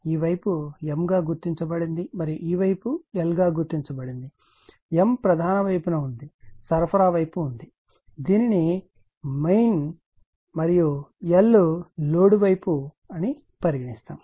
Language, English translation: Telugu, You will see that this side is marked as M and this side is marked as an L right; M is the main side there is a supply side this is called main and M is the load side